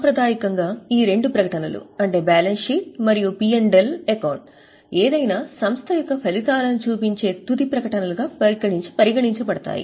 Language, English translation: Telugu, Traditionally, these two statements were considered as the final statements showing the results of any entity